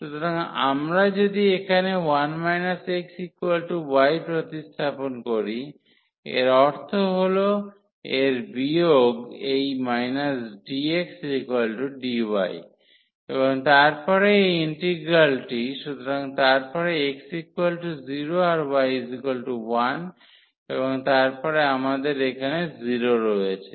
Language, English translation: Bengali, So, if we substitute here 1 minus x is equal to y ; that means, minus this dx is equal to dy and then this integral; so, then x 0, so, y 1 and then we have here 0